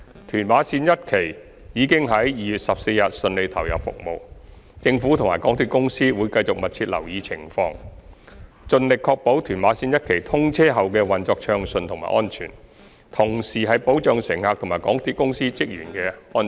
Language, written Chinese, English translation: Cantonese, 屯馬綫一期已於2月14日順利投入服務，政府及港鐵公司會繼續密切留意情況，盡力確保屯馬綫一期通車後的運作順暢及安全，同時保障乘客及港鐵公司職員的安全。, Further to the smooth commissioning of TML1 on 14 February the Government and MTRCL will continue to closely monitor the situation endeavour to ensure the safety and smooth operation after the commissioning of TML1 and safeguard the safety of the passengers and members of the staff of MTRCL